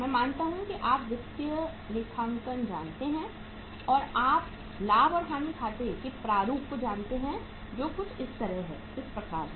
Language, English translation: Hindi, I assume that you know the financial accounting and you know the format of the profit and loss account which is something like this